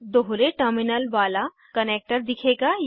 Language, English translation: Hindi, A two terminal connector will appear